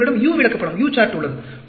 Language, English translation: Tamil, Then, you have the U chart